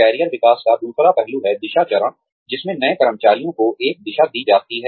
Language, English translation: Hindi, The other aspect of career development is, the direction phase, in which, a direction is given, to the new employees